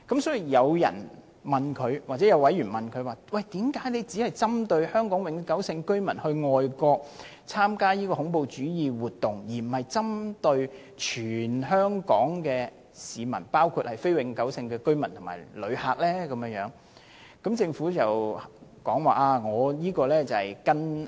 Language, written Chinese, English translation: Cantonese, 所以，有委員問政府為甚麼只針對香港永久性居民到外國參加恐怖主義活動，而不是針對包括非永久性居民和旅客在內的全香港市民？, Thus a member asked the Government why it only targeted at Hong Kong permanent residents travelling overseas to participate in terrorist activities but not all Hong Kong people including non - Hong Kong permanent residents